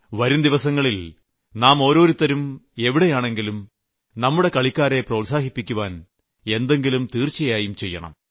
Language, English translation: Malayalam, In the days to come, wherever we are, let us do our bit to encourage our sportspersons